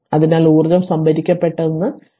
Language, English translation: Malayalam, So, here if you see that it is energy being stored right